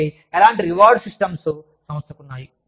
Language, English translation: Telugu, So, what kind of reward systems, does the organization have